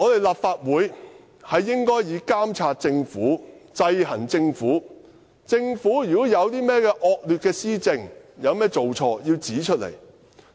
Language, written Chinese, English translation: Cantonese, 立法會應以監察政府、制衡政府為己任；如果政府有甚麼惡劣施政，有甚麼做錯，我們要指出來。, The Legislative Councils duty is to monitor the Government and check its powers . If the Government has any maladministration or blunders we must point that out